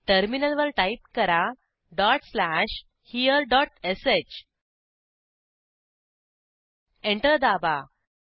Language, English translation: Marathi, On the terminal, type dot slash here dot sh Press Enter